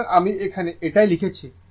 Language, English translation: Bengali, So, that is what I have written here